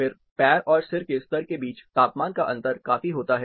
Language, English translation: Hindi, Then the temperature difference between the foot as well as the head level considerably varies